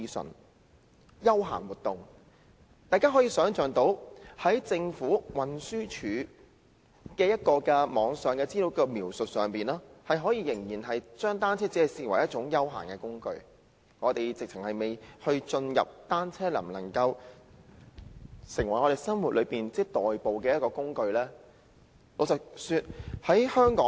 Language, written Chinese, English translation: Cantonese, "是"休閒活動"，大家從政府在運輸署網頁資料的描述，想象到當局仍然將單車視為一種休閒工具，我們尚未進入單車可否在生活上成為代步工具的討論。, The term recreational and leisure cycling activities is used . According to the description given by the Government on the information webpage of the Transport Department we can imagine that the Government still regards bicycles as a tool for recreational and leisure activities . We are not yet in the discussion on whether bicycles can be used as a mode of transport in daily life